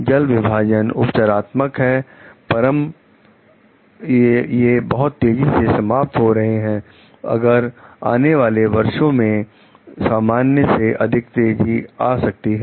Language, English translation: Hindi, The watersheds are healing, but could degenerate rapidly, if there is greater than normal precipitation in the coming years